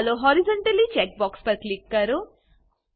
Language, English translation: Gujarati, Lets click on Horizontally check box